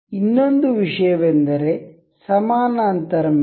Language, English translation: Kannada, Another thing is parallel mate